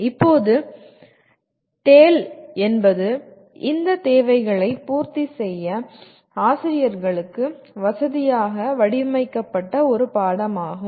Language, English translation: Tamil, Now, TALE is a course that is designed to facilitate teachers to meet these requirements